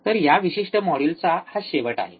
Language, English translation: Marathi, So, this is the end of this particular module